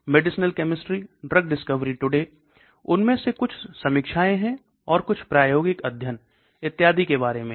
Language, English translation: Hindi, Medicinal chemistry, Drug discovery today, some of them deal with reviews and some of them deal with experimental studies and so on